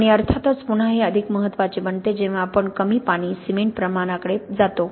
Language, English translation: Marathi, And of course again this becomes more important as we go to low water cement ratios